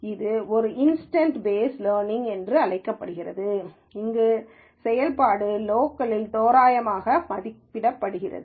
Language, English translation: Tamil, It is also called as an instant based learning where the function is approximated locally